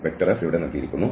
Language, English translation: Malayalam, F is given here